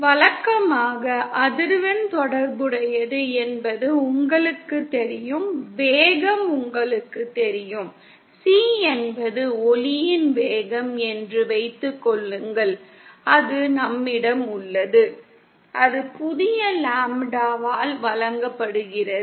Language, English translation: Tamil, Usually as you know the frequency is related, as you know the speed of, suppose C is the speed of light then we have, that is given by new lambda